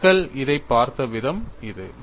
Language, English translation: Tamil, So, this is the way people have looked at it